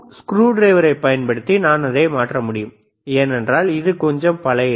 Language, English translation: Tamil, I can change it using the screwdriver, right this is , because it is a little bit old